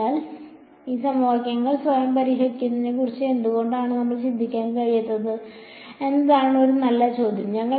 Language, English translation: Malayalam, So, one good question is that why can’t we think of solving these equations by themselves right